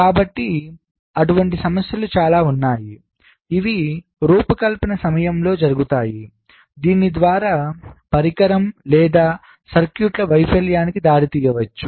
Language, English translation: Telugu, so there are lot of some issues which can take place during fabrication which might lead to the failure of the device or the circuits